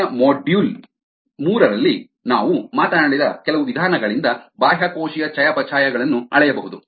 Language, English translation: Kannada, extracellular metabolite can be measured by some of the methods that we talked about in in earlier module, module three